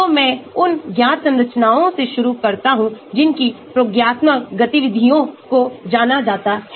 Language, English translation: Hindi, so I start with the known structures whose experimental activities are known